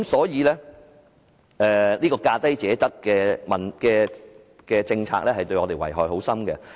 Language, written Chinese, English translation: Cantonese, 由此可見，價低者得的政策對香港的遺害深遠。, From this we can see that the policy of awarding tenders to the lowest bidder has profound negative impact on Hong Kong